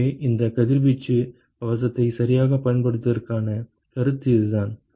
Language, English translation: Tamil, So, that is the concept of using this radiation shield all right